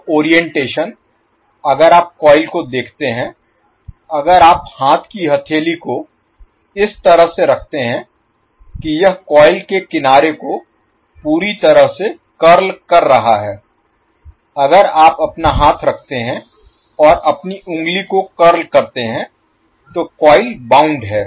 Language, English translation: Hindi, So the orientation if you see the coil are the coil is bound like this if you place a hand palm in such a way that it is completely curling the side of the coil if you place your hand and curl your finger like this the coil is bound